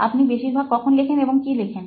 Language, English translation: Bengali, When do you generally write and what do you write